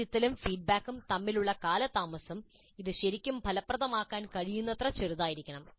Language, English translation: Malayalam, The delay between the assessment and feedback must be as small as possible to make it really effective